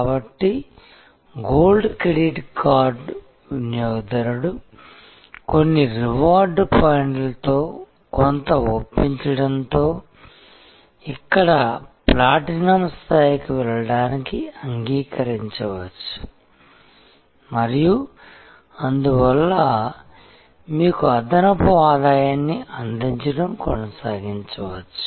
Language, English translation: Telugu, So, a gold credit card customer may agree to go to the platinum level here with some persuasion with some reward points and also can therefore, continue to bring you additional revenue